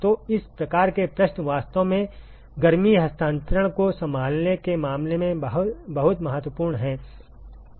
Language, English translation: Hindi, So, those kinds of questions are actually very important in terms of handling heat transfer